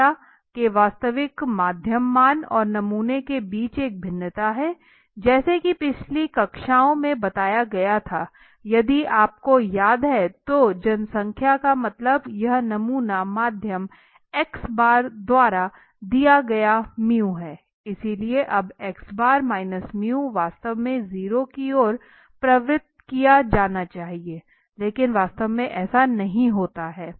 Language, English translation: Hindi, Is a variation between the true mean value of the population and the sample mean that is what I was I have said in the earlier classes also if you remember so the population mean this is mu given by the sample mean x bar so now x bar – mu should actually be tending towards 0 should be tending towards 0 that should be approximate I think towards 0 but that means were they are similar but actually does not happen in will never happen